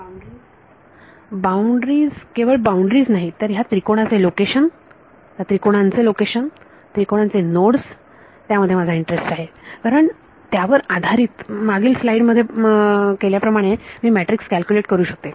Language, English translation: Marathi, Boundaries not just boundaries the location of the triangles, the nodes of those triangles right that is of interest to me because based on that like we did in the previous slide I can calculate the matrix